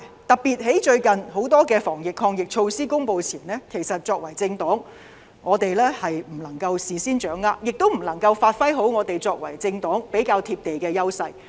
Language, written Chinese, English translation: Cantonese, 特別是最近很多防疫抗疫措施公布前，政黨不能夠事先掌握，亦不能發揮作為政黨比較"貼地"的優勢。, In particular prior to the announcement of some anti - pandemic measures recently political parties were unable to get wind of them beforehand therefore we were unable to bring our more down - to - earth advantage as political parties into full play